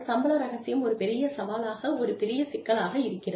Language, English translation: Tamil, Pay secrecy comes with, a big challenge, a big problem